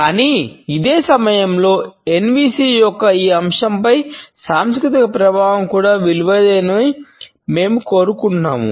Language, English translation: Telugu, But at the same time we find that the cultural impact on this aspect of NVC is also valuable